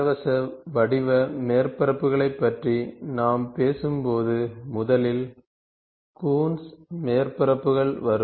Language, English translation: Tamil, So, when we talk about free form surfaces, first thing comes Coons surfaces